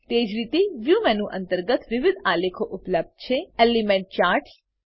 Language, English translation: Gujarati, Likewise, different charts are available under View menu, Element charts